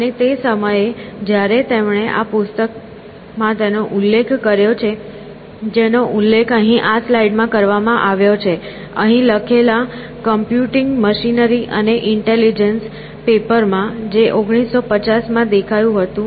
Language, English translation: Gujarati, And, at that time when he prescribed it in this book that is mentioned in this slide here, in the paper that is mentioned here, „Computing Machinery and Intelligence‟ appeared in 1950